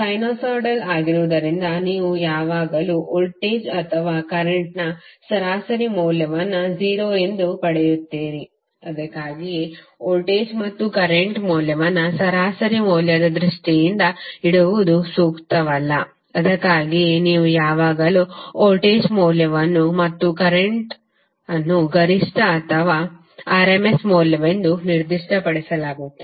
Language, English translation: Kannada, Being a sinusoidal you will always get the average value of either voltage or current as 0, so that’s why it is not advisable to keep the value of voltage and current in terms of average value that’s why you will always see either the value of voltage and current is specified as maximum or rms value